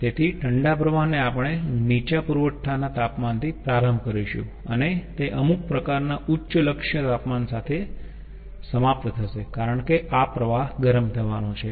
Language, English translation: Gujarati, so, cold stream, we will start with a low ah supply temperature and it will end up with some sort of a high target temperature because this stream is to be heated